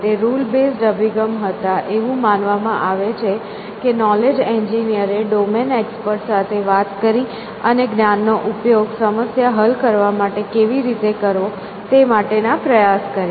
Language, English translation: Gujarati, These were rule base systems and the way there they were built was that so called, knowledge engineers went and spoke to domain experts and try to elicit from them, the knowledge that the use for solving their problem